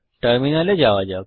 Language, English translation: Bengali, Let me go to the terminal